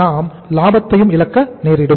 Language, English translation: Tamil, We will be losing the profits